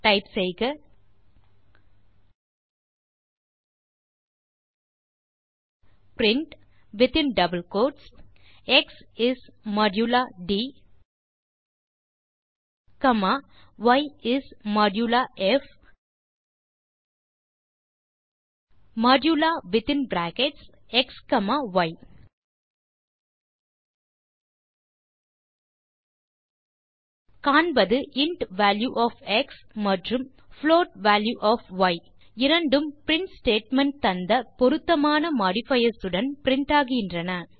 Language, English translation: Tamil, Type print within double quotes x is modula d comma y is modula f modula within brackets x comma y We see that the int value of x and float value of y are printed corresponding to the modifiers used in the print statement